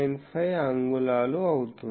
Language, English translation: Telugu, 859 centimeter or 5